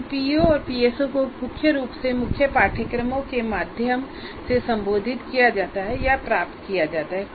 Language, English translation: Hindi, And these POs and PSOs are mainly addressed or attained through core courses